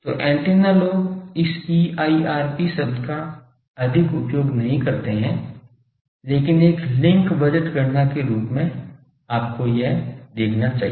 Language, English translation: Hindi, So, antenna people do not use this EIRP term much, but as a link budget calculation you should see this